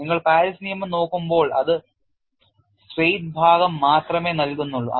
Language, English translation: Malayalam, And mind you, when you are looking at Paris law it gives only the straight portion